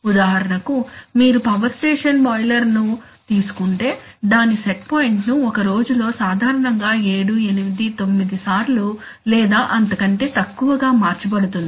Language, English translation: Telugu, For example if you take a power station boiler, then it set point over a day will typically be changed 7, 8, 9 times maybe less